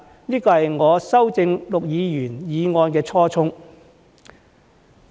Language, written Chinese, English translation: Cantonese, 這是我修正陸議員的議案的初衷。, This is the original intent of my amendment to Mr LUKs motion